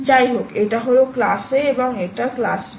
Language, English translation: Bengali, anyway, this is class a and this is class b ah